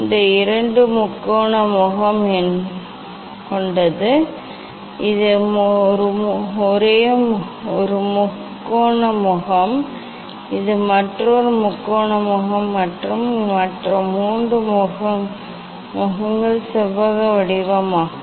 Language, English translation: Tamil, it has two triangular face this is one triangular face, and this is another triangular face and the other three faces are rectangular